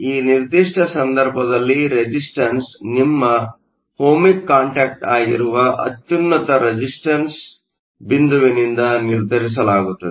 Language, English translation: Kannada, In this particular case, the resistance will be determined by the highest resistance point which is your Ohmic contact